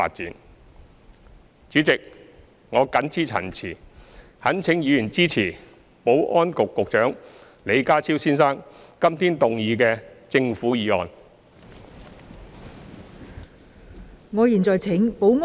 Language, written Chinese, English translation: Cantonese, 代理主席，我謹此陳辭，懇請議員支持保安局局長李家超先生今天動議的政府議案。, Deputy President with these remarks I implore Members to support the government motion proposed by Secretary for Security Mr John LEE today